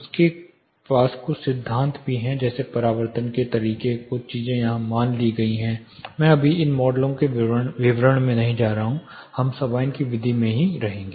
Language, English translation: Hindi, They also have certain principles like you know imagine reflection methods certain things are assumed here I am not going to get into details of these models right now, we will stick to the Sabine’s method